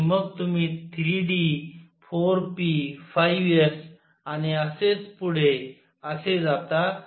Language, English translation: Marathi, And then you come to 3 d, 4 p, 5 s and so on